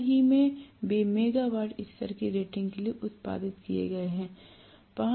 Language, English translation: Hindi, Lately they have been produced for megawatts levels of rating